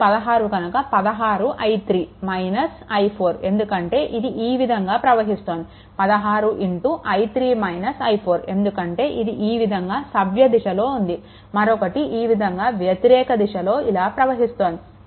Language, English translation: Telugu, So, 16 is here 16 i 3 minus i 4 because it is we have moving like this, this 16 i 3 minus I 4 because we are moving clock wise we are moving in the super mesh right we are moving like this like this right